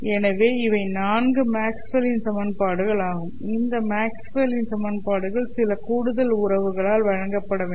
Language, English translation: Tamil, There are four Maxwell's equations